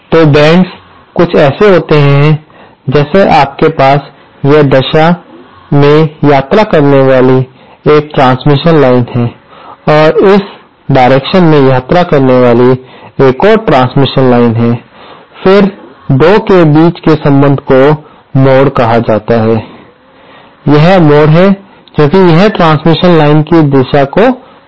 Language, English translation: Hindi, So, bends are like, you have a transmission line travelling in this direction and another transmission line travelling in this direction, then the connection between the 2 is called the bend